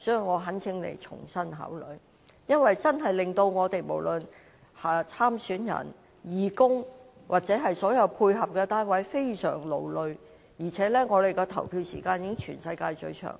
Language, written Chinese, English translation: Cantonese, 我懇請局長重新考慮，因為投票時間過長確實令參選人、義工及所有配合的單位均非常勞累，而且香港的投票時間屬全世界最長。, I implore the Secretary to reconsider given that the unduly long polling hours are certain to seriously fatigue candidates volunteers and all supporting units and Hong Kongs polling hours are the longest in the world